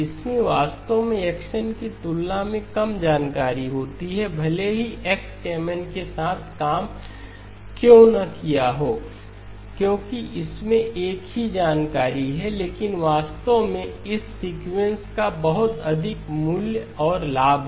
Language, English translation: Hindi, It actually has less information than X of n, why not might as well have worked with X of Mn because that has the same information but actually this sequence has a lot of value and benefit